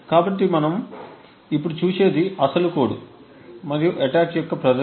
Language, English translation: Telugu, So, what we will see now is the actual code and a demonstration of the attack